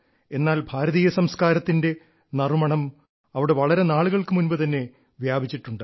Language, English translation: Malayalam, However, the fragrance of Indian culture has been there for a long time